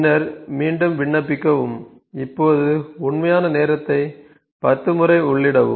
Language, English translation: Tamil, Then apply back and ok, now enter real time into 10 times